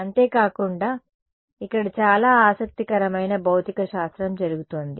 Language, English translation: Telugu, Besides, there is a lot of interesting physics happening over here